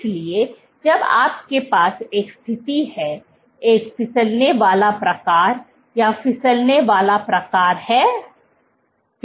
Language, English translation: Hindi, So, when you have a situation; a slipping kind, what is the slipping kind